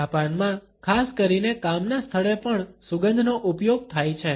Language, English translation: Gujarati, In Japan particularly fragrance is used in the workplace also